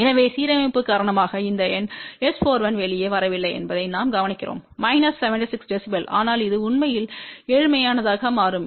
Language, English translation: Tamil, So, what we notice that because of the miss alignment this number S 4 1 does not come out be minus 70 6 db, but it actually becomes poorer